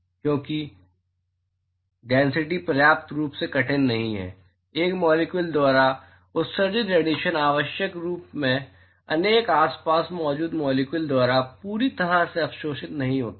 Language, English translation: Hindi, And because the density is not sufficiently tough, the radiation emitted by one molecule is not necessarily completely absorbed by the molecules which are present around them